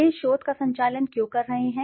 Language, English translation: Hindi, Why they are conducting this research